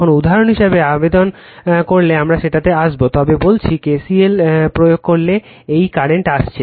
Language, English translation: Bengali, Now, if you apply for example, we will come to that, but am telling you if you apply KCL let this current is coming right in coming